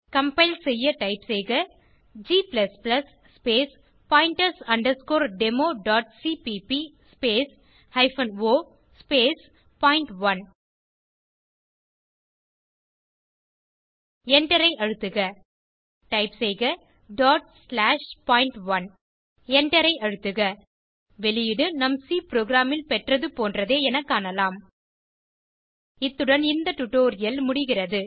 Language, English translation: Tamil, To compile type g++ space pointers demo.cpp space hyphen o space point1, press Enter Type dot slash point1, press Enter We can see that the output is similar to our C program This brings us to the end of this tutorial